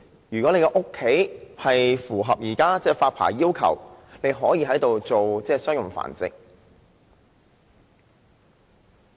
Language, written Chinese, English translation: Cantonese, 如果住所符合現時的發牌要求，便可進行商業繁殖。, Any domestic premises that meet the current licensing requirements will be allowed to be used for commercial breeding